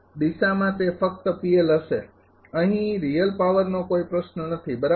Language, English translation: Gujarati, In the direction it will be P L only here no question of real power right